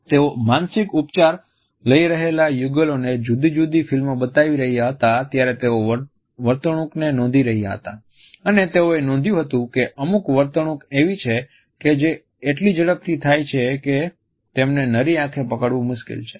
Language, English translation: Gujarati, They were looking at the behavior of couples who were undergoing psychological therapy and they were watching different films and they noted that there are certain behaviors which would flash so quickly that it was difficult to grasp them by naked eye